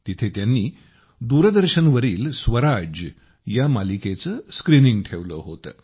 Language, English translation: Marathi, There, they had organised the screening of 'Swaraj', the Doordarshan serial